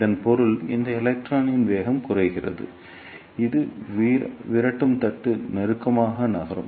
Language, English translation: Tamil, It means the velocity of this electron decreases as it moves closer to the repeller plate